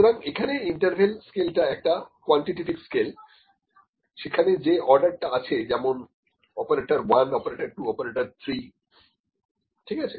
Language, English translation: Bengali, So, interval scale is a quantitative scale where the order or whatever the, with just had the order operator 1, operator 2, operator 3, ok